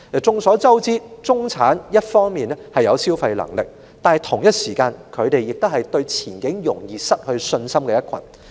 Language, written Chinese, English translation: Cantonese, 眾所周知，中產一方面有消費能力，但同時亦是對前景容易失去信心的一群。, It is well known that the middle class is a group which enjoys better spending power but is at the same time easily susceptible to a loss of confidence over the future